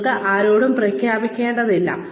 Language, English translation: Malayalam, You do not have to declare it to anyone